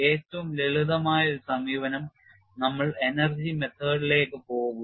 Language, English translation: Malayalam, One of the simplest approach is we will go to the energy method